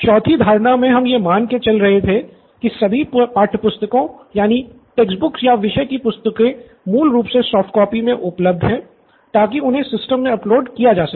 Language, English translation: Hindi, Then assumption four would be all the textbooks or subject textbooks basically are available as soft copies, so that they can be uploaded into the system